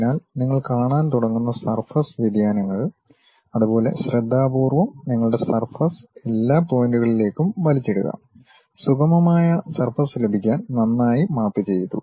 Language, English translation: Malayalam, So, that surface variations you start seeing and you carefully pull your surface in all these points, nicely mapped to get a smooth kind of surface